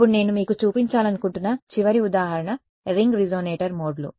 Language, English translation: Telugu, Then the final example I want to show you is modes of ring resonator ok